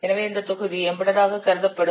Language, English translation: Tamil, So this module will be treated as embedded